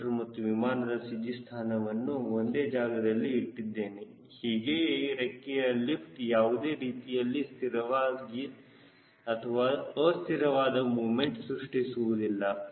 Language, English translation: Kannada, i have put ac of the wing and the cg of the aircraft at same point, so this wing lift will not create any either a destabilizing or a stabilizing moment